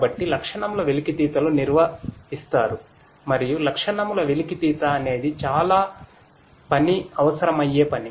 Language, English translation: Telugu, So, the feature extractions are performed and feature extraction itself is a task that requires lot of work